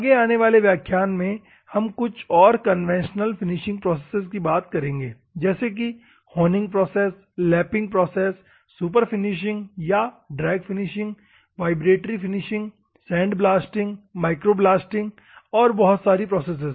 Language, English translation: Hindi, Next, in the upcoming classes, we will see the other conventional finishing processes such as honing process, lapping process, superfinishing process or the drag finishing, vibratory finishing, sandblasting, micro blasting, many many processes are there